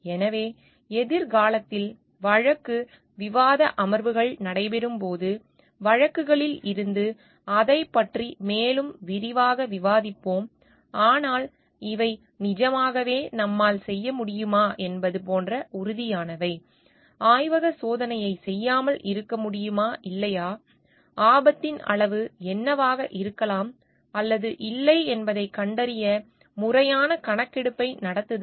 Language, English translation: Tamil, So, in the future when we will have the case discussion sessions, we will discuss more in details about it from the cases, but these are certain like whether we can really do it and can we be casual about not doing a laboratory test or not doing a proper survey to find out to what could be the degree of risk involved or not